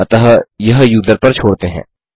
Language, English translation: Hindi, So just leave that upto the user